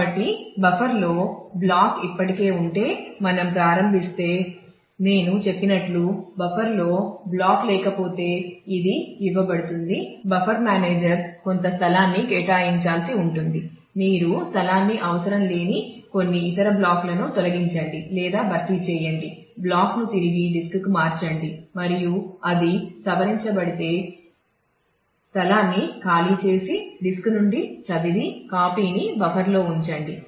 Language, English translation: Telugu, So, as I said if we if we start if the block is already there in the buffer, then that is given out if the block is not there in the buffer the buffer manager will need to allocate some space how do you allocate space by throwing out some other block which is not required or replace the; then replace the block return back to disk and if it was modified and make space free and then read from the disk and keep a copy in the buffer